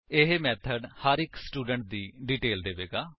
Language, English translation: Punjabi, This method will give the details of each student